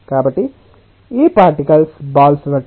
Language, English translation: Telugu, so these particles are like balls